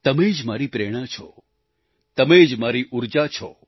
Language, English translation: Gujarati, You are my inspiration and you are my energy